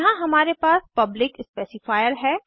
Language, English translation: Hindi, Here we have the Public specifier